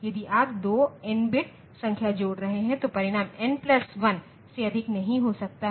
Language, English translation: Hindi, If you are adding 2 n bit number the result can be of n plus 1 bit not more than that